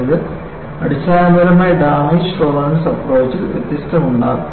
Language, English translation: Malayalam, So, this fundamentally, makes a difference in damage tolerant approach